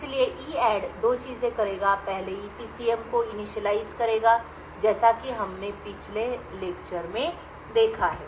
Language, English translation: Hindi, So EADD will do 2 things first it will initialize the EPCM as we have seen in the previous lecture